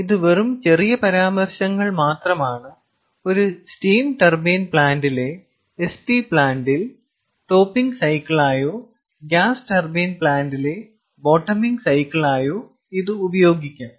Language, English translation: Malayalam, it can be used as a topping cycle in an st plant, in a steam turbine plant, or as a bottoming cycle in a gas turbine plant